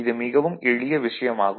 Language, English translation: Tamil, This is very simple thing